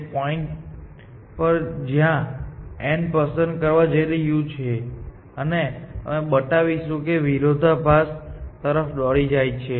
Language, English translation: Gujarati, At the point, where it is about to pick n and we will show that this leads to a contradiction